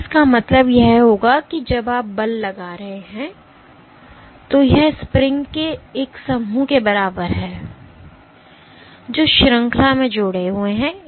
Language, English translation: Hindi, So, this would mean that when you are exerting force since it is, so it is equivalent to a bunch of springs which are connected in series